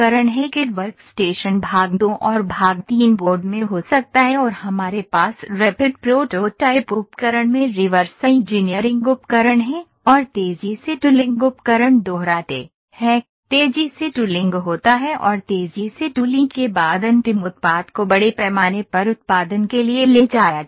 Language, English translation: Hindi, The cad work station can be in part two and part three board and after we have reverse engineering equipment in rapid prototyping equipment and repeat rapid tooling equipment the finally, rapid tooling happens and after rapid tooling the final product is taken to the mass production